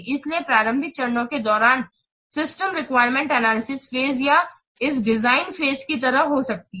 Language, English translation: Hindi, So during the early phase may be like a system requirement, system requirement analysis phase or this design phase